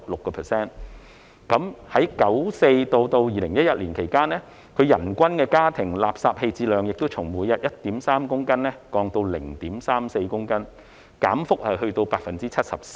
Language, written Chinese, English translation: Cantonese, 在1994年至2011年間，人均家庭垃圾棄置量亦從每日 1.3 公斤降至 0.34 公斤，減幅達 74%。, Between 1994 and 2011 the per capita household waste disposal rate also dropped from 1.3 kg per day to 0.34 kg per day registering a decrease of 74 %